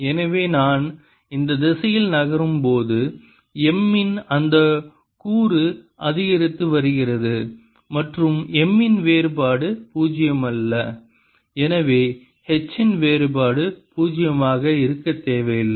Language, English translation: Tamil, so, as i am moving in the direction this way, that component of m is increasing and divergence of m is not zero